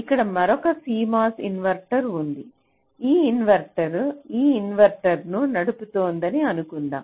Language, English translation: Telugu, here we have a cmos inverter, here we have another cmos inverter